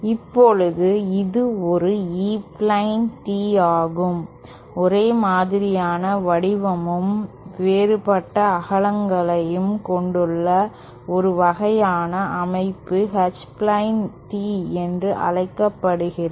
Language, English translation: Tamil, Now this is an E plane tee, a kind of complimentary structure where the shape is same but the widths are different is what is called an H plane tee